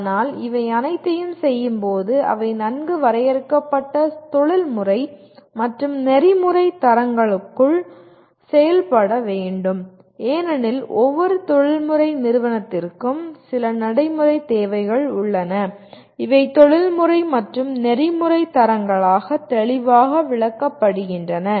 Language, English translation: Tamil, But while doing all these they are required to operate and behave within a within well defined professional and ethical standards because every professional organization has certain requirements of behavior and these are enunciated as professional and ethical standards